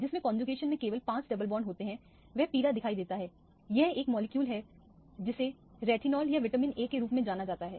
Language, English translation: Hindi, The one that has only 5 double bonds in conjugation appears as yellow this is a molecule which is known as retinol or vitamin A